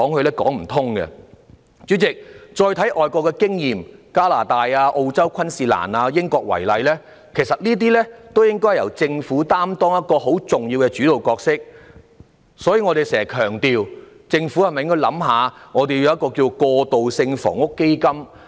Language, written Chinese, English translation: Cantonese, 代理主席，大家再看看外國的經驗，以加拿大、澳洲昆士蘭、英國為例，其實這些地方也由政府擔當很重要的主導角色，所以我們時常強調，香港政府是否需要考慮設立一個"過渡性房屋基金"？, Deputy President let us take a look at overseas experiences . Take Canada Queensland in Australia and the United Kingdom as an example the governments in these places actually also play a quite important leading roles so we always emphasized is it necessary for the Hong Kong Government to consider setting up a transitional housing fund?